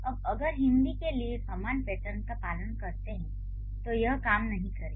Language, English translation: Hindi, Now if we follow the same pattern for Hindi, it is not going to work